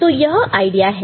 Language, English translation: Hindi, So, this is the idea